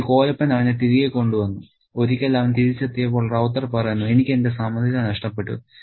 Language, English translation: Malayalam, And then finally, Kolopin brings him back and once he is back, Ravta says, I just lost my head